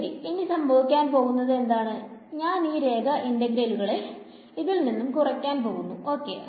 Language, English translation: Malayalam, So, what will happen is that I just have to subtract off the line integrals along each of these things right